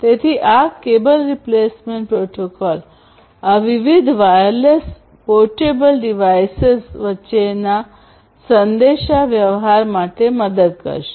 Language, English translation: Gujarati, So, this cable replacement protocol we will help for communicating between these different wireless you know portable devices and so on